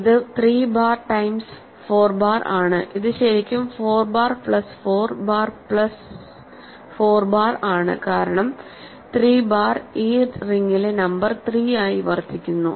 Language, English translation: Malayalam, It is 3 bar times 4 bar which is really 4 bar plus 4 bar plus 4 bar because, 3 bar serves as the number 3 in this ring